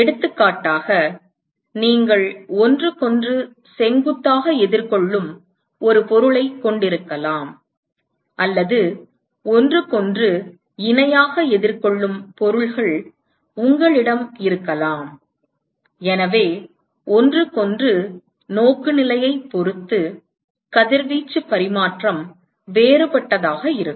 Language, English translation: Tamil, For example, you might have an object which is facing perpendicular to each other, or you might have objects which is facing parallel to each other, so depending upon the orientation between each other, the radiation exchange is going to be different